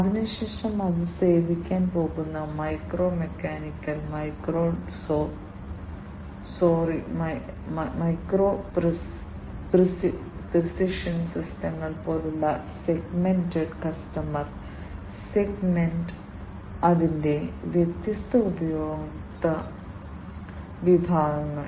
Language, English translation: Malayalam, Thereafter, the segmented customer segment which means like the micro mechanical micro sorry micro precision systems that it is going to serve, the different customer segments of it